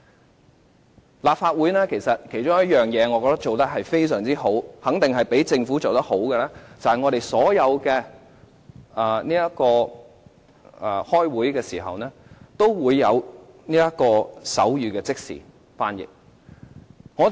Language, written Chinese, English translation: Cantonese, 我覺得立法會有一件事做得非常好，肯定較政府做得好，便是我們所有會議都提供即時的手語翻譯。, I think the Legislative Council has done a very good job in one respect and in this particular respect it has definitely done better than the Government . I am talking about the provision of simultaneous sign language interpretation in all Council Meetings